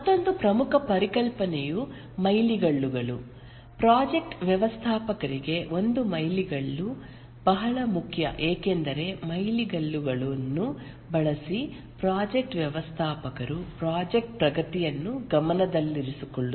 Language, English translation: Kannada, A milestone is very important for the project manager because using the milestones the project manager keeps track of the progress of the project